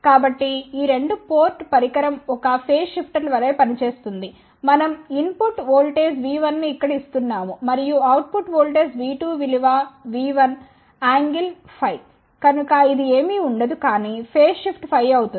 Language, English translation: Telugu, So, this 2 port device can act as a phase shifter let us say we are giving a input voltage V 1 here and if the output voltage V 2 is nothing, but V 1 angle sum phi, so that will be nothing, but ah phase shift of phi